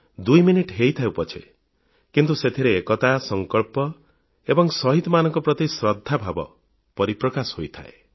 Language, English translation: Odia, This 2 minutes silence is an expression of our collective resolve and reverence for the martyrs